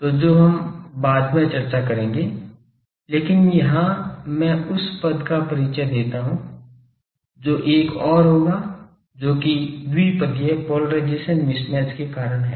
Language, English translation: Hindi, So, that we will discuss later, but here I introduce that term that there will be another one that due to the polarization mismatch